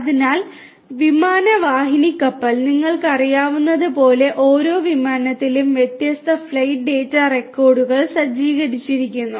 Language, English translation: Malayalam, So, you know aircraft fleet; aircraft fleet each aircraft as you know is equipped with different flight data recorders